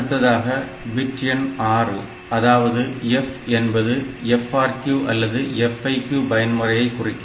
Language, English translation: Tamil, Then there is the bit number 6 is the F bit which stands for that FRQ mode or FIQ